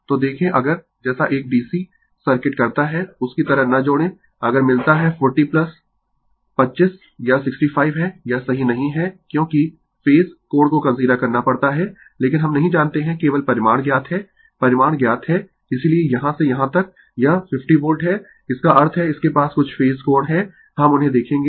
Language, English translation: Hindi, So, look if, you like a DC Circuit do not add like this right, if you get 40 plus 25 it is 65 it is not correct because, you have to consider the Phase angle right, but we do not know only magnitudes are known magnitudes are known that is why from here to here it is 50 Volt; that means, it has some phase angle we will see that and , and this Voltage across the Capacitor is 45 Volt